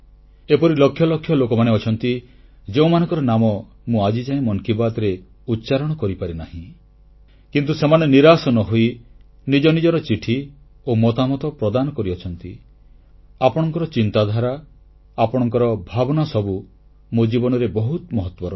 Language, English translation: Odia, There are lakhs of persons whose names I have not been able to include in Mann Ki Baat but without any disappointment,they continue to sendin their letters and comments